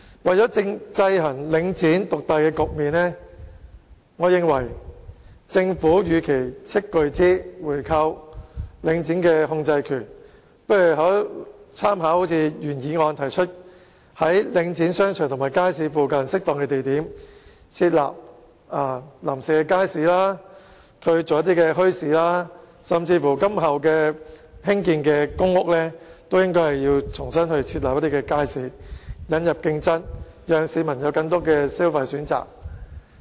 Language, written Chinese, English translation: Cantonese, 為了制衡領展獨大的局面，我認為政府與其斥巨資購回領展的控制權，不如參考原議案所提出的建議，在領展商場及街市附近適當的地點設立臨時街市，或舉辦墟市，甚至在今後興建的公屋項目中都應該設立街市，引入競爭，讓市民有更多的消費選擇。, In order to counteract the market dominance of Link REIT I would suggest that the Government make reference to the proposals put forward in the original motion rather than spending an enormous sum of money on buying back a controlling stake in Link REIT in setting up temporary markets or bazaars at suitable locations near the shopping arcades and markets under Link REIT or even providing markets in future public housing developments in order to introduce competition and provide the public with more choices of spending